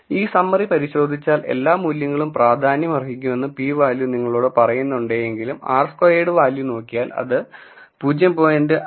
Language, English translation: Malayalam, If you take a look at this summary though the p value tells you that all the variables are significant, if you look at the r squared value it has dropped from 0